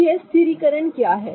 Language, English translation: Hindi, So, what is the stabilization